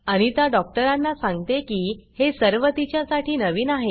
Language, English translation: Marathi, Anita tells the doctor that she is new to all this